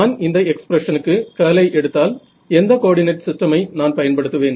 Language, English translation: Tamil, So, if I now go to take the curl of this expression, you can sort of see what coordinate system will I use